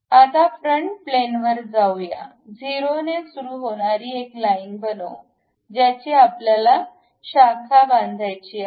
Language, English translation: Marathi, Now, go to front plane, let us construct a line beginning with 0, a branching junction we would like to construct